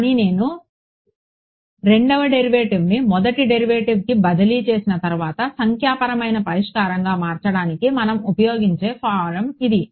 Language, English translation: Telugu, But this is the form that we will use to convert into a numerical solution the once I have transfer the second derivative into a first derivative ok